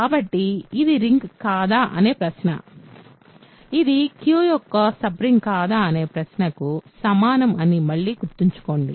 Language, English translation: Telugu, So, remember again the question whether this is a ring or not is same as the question whether this is a sub ring of Q or not